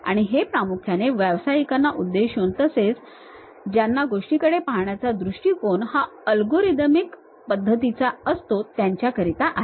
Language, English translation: Marathi, And this is mainly aimed at professionals, and who love to go for algorithmic way of looking at the things